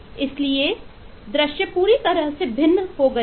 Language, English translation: Hindi, So the view has become completely different